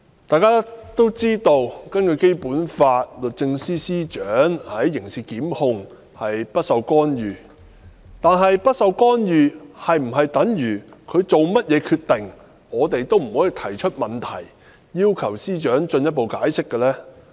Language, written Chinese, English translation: Cantonese, 大家都知道，根據《基本法》，律政司司長的刑事檢控工作不受干預，但不受干預是否等於我們不能夠對司長的任何決定提出問題，或要求司長作進一步解釋呢？, As we all know under the Basic Law criminal prosecution work of the Secretary for Justice is free from interference but does it mean that we are not allowed to raise any question about the Secretarys decisions or to demand his or her further explanation?